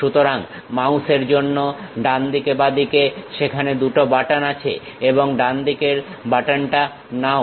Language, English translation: Bengali, So, for mouse right side, left side 2 buttons are there and pick right side button